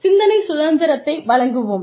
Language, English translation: Tamil, We will give them independence of thought